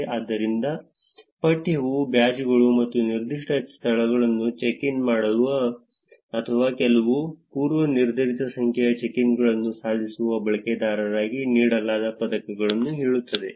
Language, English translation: Kannada, So, the text says badges or like medals given to users who check in at a specific venues or achieve some predefined number of check ins